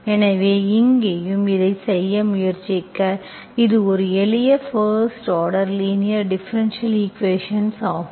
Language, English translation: Tamil, So this is how you can solve a linear first order ordinary differential equations